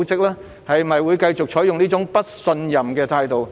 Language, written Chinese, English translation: Cantonese, 是否會繼續採取這麼不信任的態度？, Will it continue to hold such a mistrustful attitude?